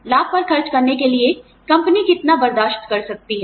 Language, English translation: Hindi, How much, can the company afford, to spend on benefits